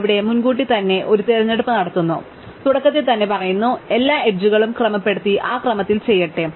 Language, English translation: Malayalam, Here, we make a choice well in advance, we say right at the beginning let us sort all the edges and do it in that order